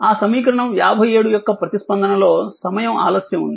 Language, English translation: Telugu, There is a time delay in the response of that equation 57 right